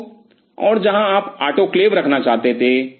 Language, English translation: Hindi, So, and where you wanted to put the autoclave